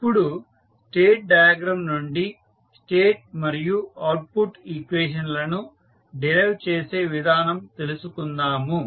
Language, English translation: Telugu, Now, let us try to find out the procedure of deriving the state and output equations from the state diagram